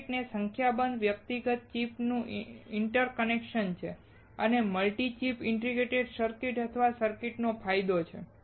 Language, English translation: Gujarati, A circuit is the interconnection of a number of individual chip and is an advantage of multi chip integrated chips or circuits